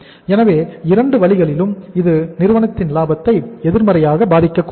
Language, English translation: Tamil, So in both the ways it should not impact up the profitability of the firm negatively